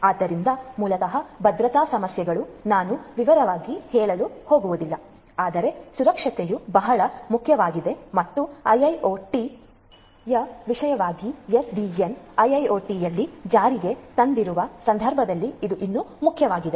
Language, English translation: Kannada, So, basically security issues I am not going to go through in detail, but the mind you that security is very important and it is even more important in the context of IIoT and particularly SDN, you know SDN implemented on IIoT